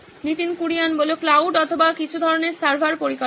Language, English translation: Bengali, Cloud or some kind of server infrastructure